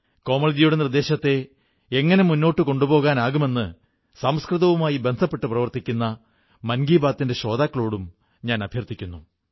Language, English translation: Malayalam, I shall also request listeners of Mann Ki Baat who are engaged in the field of Sanskrit, to ponder over ways & means to take Komalji's suggestion forward